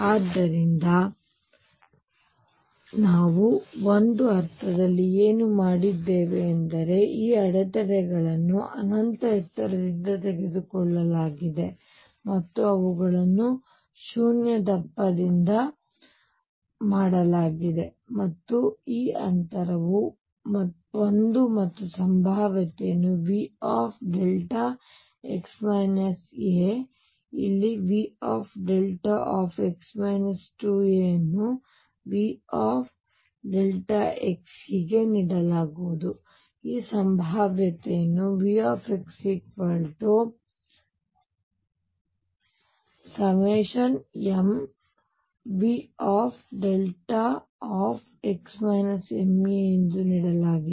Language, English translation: Kannada, So, what we have done in a sense is taken these barriers to be of infinite height and made them of zero thickness and this distance is a and the potential is going to be given as delta x minus a here V delta x minus 2 a this is V delta x and so on